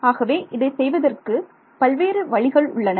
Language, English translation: Tamil, So, there are many ways of doing it right